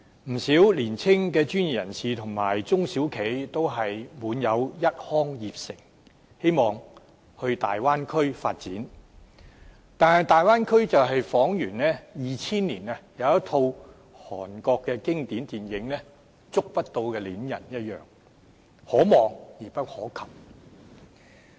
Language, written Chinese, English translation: Cantonese, 不少年青的專業人士和中小企都滿有一腔熱誠，希望到大灣區發展，但大灣區彷如2000年的一套經典韓國電影"觸不到的戀人"一樣，可望而不可及。, Quite a number of young professionals and small and medium enterprises SMEs are all full of enthusiasm in going to develop in the Bay Area . However our feeling towards the Bay Area can be compared to a classic Korean film in 2000 called Il Mare as we aspire to go there for development but this is out of reach for the majority of people